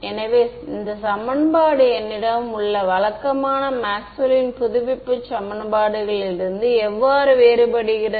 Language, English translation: Tamil, So, how does this equation differ from my usual Maxwell’s equations or update equations